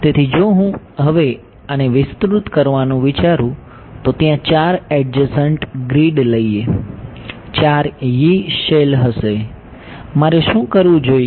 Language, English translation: Gujarati, So, what if I take now think of extending this there are going to be four adjacent grids, four Yee cells right what should I do